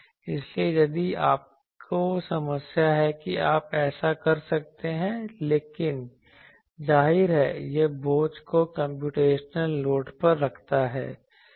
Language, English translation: Hindi, So, if you find problem that you can do that, but; obviously, it puts the burden on the computational load